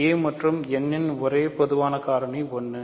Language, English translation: Tamil, So, the only common factors of a and n are 1